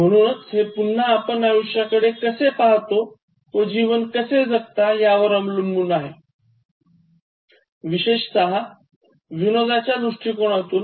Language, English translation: Marathi, So that again amounts to the way you look at life and the way you perceive life, especially from this point of view of humour